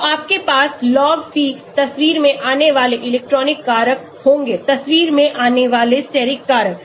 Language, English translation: Hindi, So, you will have log p coming into picture electronic factors coming into picture, steric factor